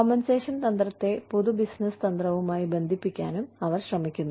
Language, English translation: Malayalam, They are also trying to tie, compensation strategy to general business strategy